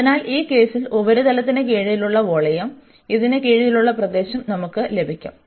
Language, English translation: Malayalam, So, we will get just the area under this the volume of under the surface in this case